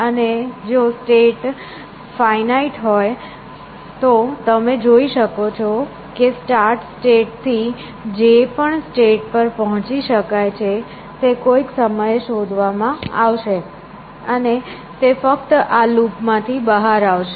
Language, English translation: Gujarati, And if the state species finite, you can see that eventually, whatever states are reachable from the start state, they will be explode at some point or the other, and it will come out of this loop only, it open becomes empty